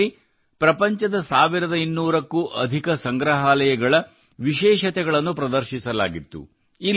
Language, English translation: Kannada, It depicted the specialities of more than 1200 museums of the world